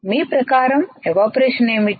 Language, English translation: Telugu, What is evaporation